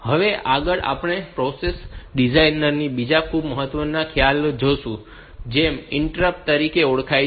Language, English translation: Gujarati, Next we will go into another very important concept in the processor design, which are known as interrupts